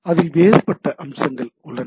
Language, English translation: Tamil, So, there are different aspect of it right